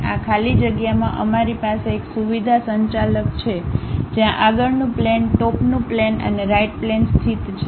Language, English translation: Gujarati, In this blank space, we have feature manager where front plane, top plane and right plane is located